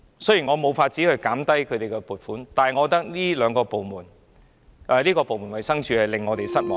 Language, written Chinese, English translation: Cantonese, 雖然我沒有辦法削減衞生署的撥款，但我覺得這個部門是令我們失望的。, Although there is no way for me to reduce the funding for DH I must say that this department is disappointing to us